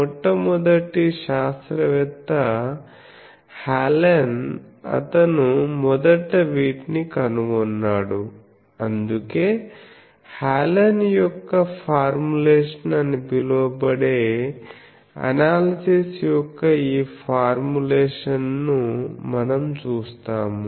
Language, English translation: Telugu, The first one scientist Hallen he first found out these, so that is why this formulation of the analysis that is called Hallen’s formulation which we will see